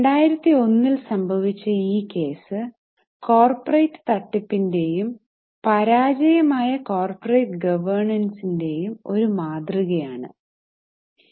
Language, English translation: Malayalam, This happened in 2001, one of the biggest corporate frauds and one of the very striking case of failure of governance